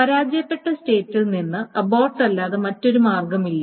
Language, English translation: Malayalam, And of course, from the failed state, there is no other way than to abort